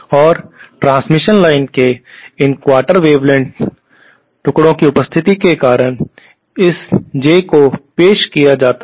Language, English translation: Hindi, And this J is introduced because of the presence of these quarter wavelength pieces of transmission line